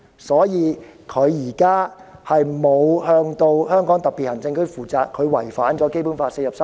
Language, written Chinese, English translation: Cantonese, 所以，她並沒有向香港特別行政區負責，違反了《基本法》第四十三條。, Hence without being accountable to the Hong Kong SAR she has violated Article 43 of the Basic Law